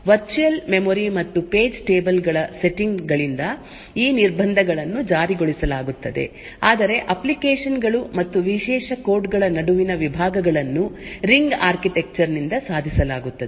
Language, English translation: Kannada, These restrictions are enforced by the virtual memory and page tables setting while the partitions between the applications and privileged codes are achieved by the ring architecture